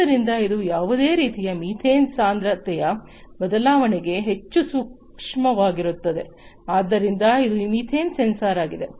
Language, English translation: Kannada, So, this is; that means, that it is highly sensitive to any kind of methane concentration change, so the is this methane sensor